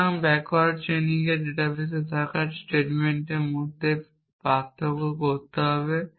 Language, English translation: Bengali, So, backward chaining needs to distinguish between statements which are there in the database